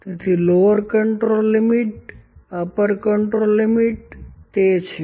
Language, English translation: Gujarati, Upper control limit and lower control limit is there